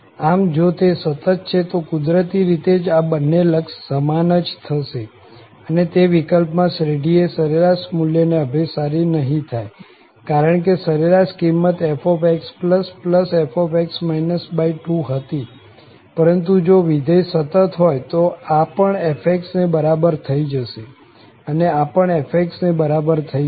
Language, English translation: Gujarati, So, if it is continuous, naturally, these two limits should be equal and in that case, this series will converge not to the average value, because this was actually the average value f plus f divided by 2, but if the function is continuous, so this will be also equal to f and this will be also equal to f